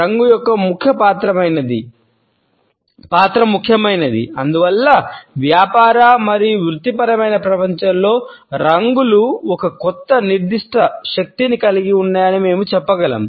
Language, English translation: Telugu, The role of color is important and therefore, we can say that colors hold a certain power in business and professional world